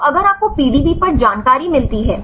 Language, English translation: Hindi, So, if you get the information on the PDB